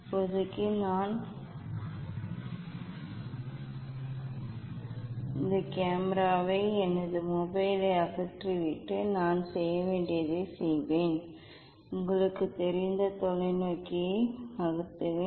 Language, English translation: Tamil, it is a for now I will just remove this camera my mobile and just do the experiment what I have to do, I just move I just move the telescope you know